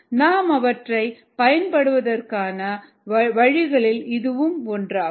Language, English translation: Tamil, that's one of the ways in which we will be using them, thus